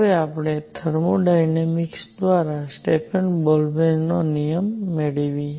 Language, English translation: Gujarati, Now let us get Stefan Boltzmann law by thermodynamics